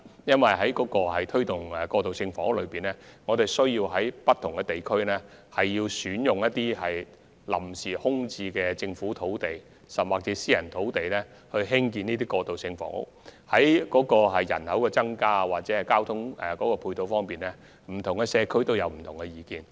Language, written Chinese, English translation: Cantonese, 因為推動過渡性房屋時，需要在不同地區選用臨時空置的政府土地甚或私人土地興建這類房屋，而對於人口增加或交通配套問題，不同社區有不同意見。, When promoting transitional housing there will be a need to identify temporarily idle Government land sites or private land in different districts for the construction of such housing units and different communities may have different views on the problem of population growth or the provision of ancillary transport facilities